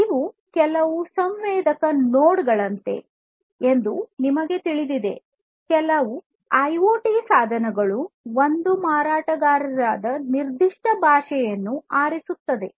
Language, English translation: Kannada, You know it is somewhat like some sensor nodes, some IoT devices pick one specific vendor specific language